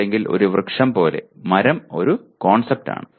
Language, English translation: Malayalam, Or like a tree, tree is a concept